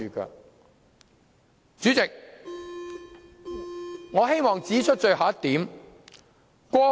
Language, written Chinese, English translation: Cantonese, 代理主席，我希望指出最後一點。, Deputy President I wish to make my last point